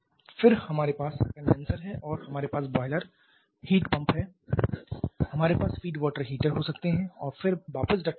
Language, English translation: Hindi, Then we have the condenser we have the boiler heat pump we may have feed water heaters and then going back to the duct